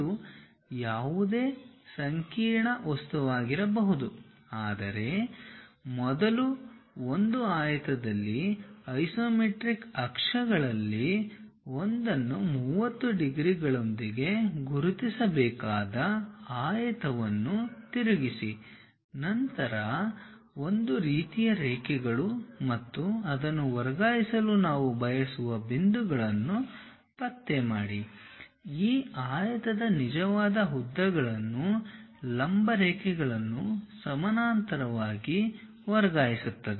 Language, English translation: Kannada, It can be any complicated object, but first we have to enclose that in a rectangle, rotate that rectangle one of the isometric axis one has to identify with 30 degrees then transfer the true lengths of this rectangle onto this with the perpendicular lines and parallel kind of lines and locate the points which we will like to transfer it